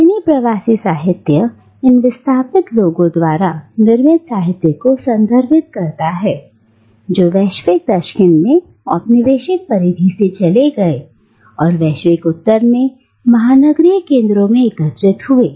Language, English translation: Hindi, And the category diasporic literature refers to the literature produced by these displaced people who migrated from the colonial periphery in the global South and who gathered in the metropolitan centres in the global North